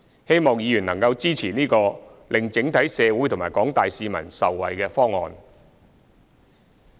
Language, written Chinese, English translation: Cantonese, 希望議員能支持這個令整體社會和廣大市民受惠的方案。, I hope that Members will support this proposal which will benefit society as a whole and individuals